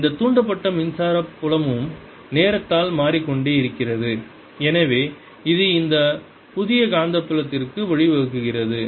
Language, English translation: Tamil, this induced electric field is also changing in time and therefore this gives rise to this new magnetic field